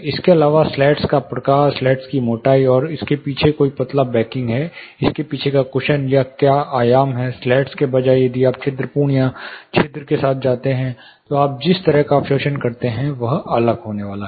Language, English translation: Hindi, Apart from this, the type of slats, the thickness of slats, is there you know thin backing behind this, a cushion backing behind this, are what is a dimension instead of slats if you have porous or perforations, the kind of absorption you are going to get, is going to be different